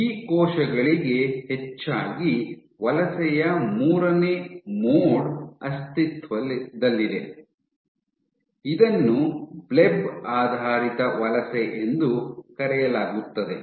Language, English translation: Kannada, Increasingly for these cells there is exist a third mode of migration, so, what it does, So, this is a called a Bleb based migration